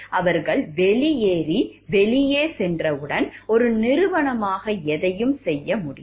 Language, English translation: Tamil, Once they have left and gone outside, so as a company are there anything that can be done